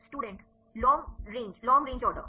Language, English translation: Hindi, The long range long Long range order